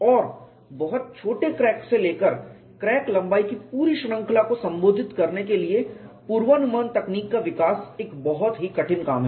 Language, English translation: Hindi, And development of predictive techniques to address the full range of crack lengths down to very small cracks is a very difficult task